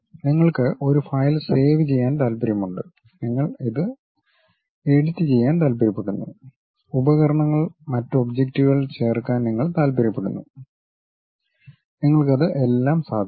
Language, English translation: Malayalam, You want to save a file, you want to edit it, you want to insert tools, other objects, you will have it